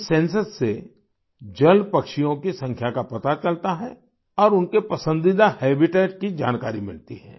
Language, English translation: Hindi, This Census reveals the population of water birds and also about their favorite Habitat